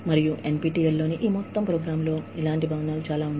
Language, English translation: Telugu, And, in similar buildings, in this whole program on NPTEL